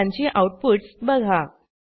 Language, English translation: Marathi, And observe their outputs